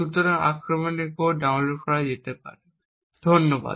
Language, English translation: Bengali, So, the code for the attack can be downloaded, thank you